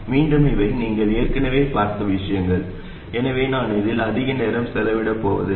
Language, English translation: Tamil, And again, these are things that you have already seen before, so I am not going to spend much time on this